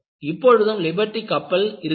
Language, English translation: Tamil, You still have a nice Liberty ship available